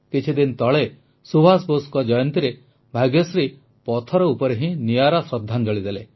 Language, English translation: Odia, A few days ago, on the birth anniversary of Subhash Babu, Bhagyashree paid him a unique tribute done on stone